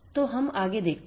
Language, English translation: Hindi, So, let us look further